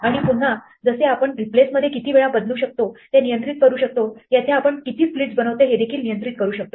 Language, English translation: Marathi, And again just like in replace we could control how many times we replaced, here we can also control how many splits you make